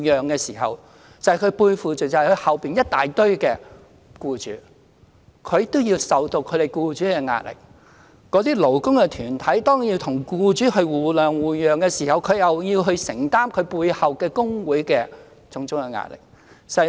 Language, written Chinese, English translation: Cantonese, 僱主的代表要面對背後一大堆僱主，要承受這些僱主的壓力；而當勞工的代表要與僱主互諒互讓時，則要承受其背後工會的種種壓力。, Employer representatives have to face pressure from a large number of employers behind them; whereas employee representatives are subjected to various kinds of pressure from the trade unions behind them when negotiating with employers on the basis of mutual understanding and accommodation